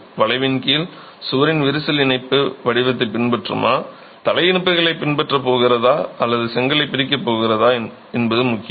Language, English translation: Tamil, Under bending it matters whether the crack in the wall is going to follow the joint pattern, the head joints, or is it going to split the brick itself